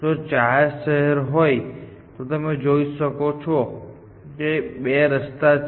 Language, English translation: Gujarati, If there are four cities then you can see there are two paths